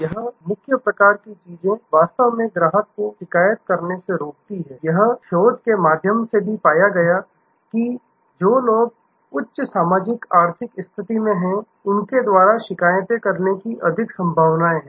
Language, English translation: Hindi, This key sort of things actually prohibits the deters the customer from complaining, it is also found through research, that people who are in the higher socio economic stata, they are more likely to complaint